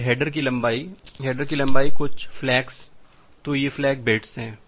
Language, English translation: Hindi, Then the header length, the length of header certain flags so, these are the flag bits